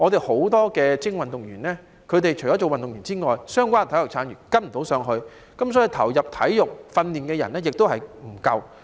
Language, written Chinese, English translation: Cantonese, 很多精英運動員只能做運動員，相關的體育產業未能跟上，所以投入體育訓練的人亦不足夠。, Many elite athletes can only be an athlete . The associated sports industry is not well developed to match with the needs of our athletes . As a result there are not enough people who participate in sports training